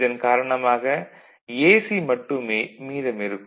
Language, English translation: Tamil, So, you are left with AC only